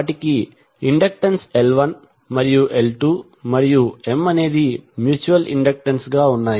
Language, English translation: Telugu, They have inductances as L 1 and L 2 and M is the mutual inductant